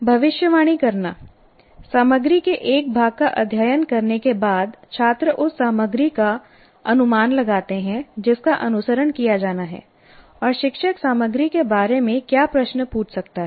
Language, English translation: Hindi, After studying a section of the content, the students predict the material to follow and what questions the teacher might ask about the content